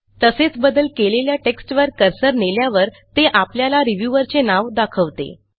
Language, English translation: Marathi, Of course, hovering the mouse over the edited text will display the name of the reviewer